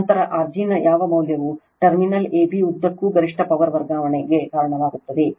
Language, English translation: Kannada, Then what value of R g results in maximum power transfer across the terminal ab